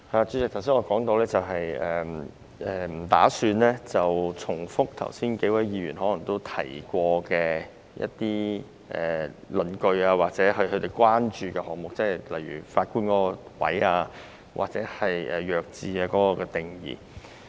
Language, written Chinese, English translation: Cantonese, 主席，我剛才提到我不打算重複多位議員提過的論據或他們的關注，例如有關法官的部分或"弱智"的定義。, Chairman just now I said that I do not intend to repeat the arguments or concerns raised by a few Members such as the parts concerning judges or the definition of intellectual disabilities